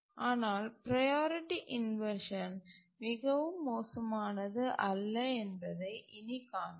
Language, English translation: Tamil, But as we will see now that priority inversion by itself is not too bad